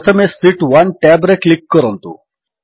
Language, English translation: Odia, First, click on the Sheet 1 tab